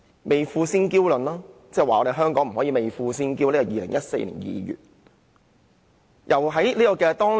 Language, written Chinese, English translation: Cantonese, 未富先嬌論，他指香港人不可以未富先嬌，這是2014年2月的言論。, He said that Hong Kong people should not become conceited before getting rich . Such a remark was made in February 2014